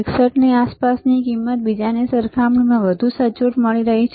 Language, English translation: Gujarati, 161 is even more accurate compared to the another one